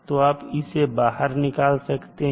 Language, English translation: Hindi, So you can take it out